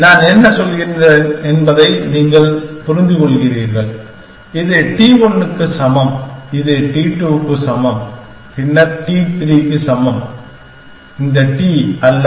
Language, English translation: Tamil, So, you understand what I am saying that, this is that t equal to 1, this is t equal to 2, then t equal to 3 not this t, we will use a term t t, which is a kind of a more standard term